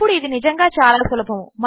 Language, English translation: Telugu, Now, this is really easy